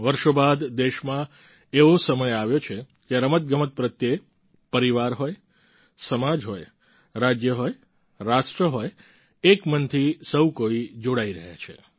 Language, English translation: Gujarati, After years has the country witnessed a period where, in families, in society, in States, in the Nation, all the people are single mindedly forging a bond with Sports